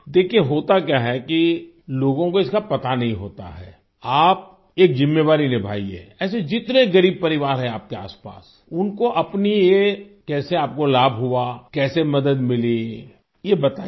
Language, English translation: Hindi, See what happens people do not know about it, you should take on a duty, find out how many poor families are around you, and how you benefited from it, how did you get help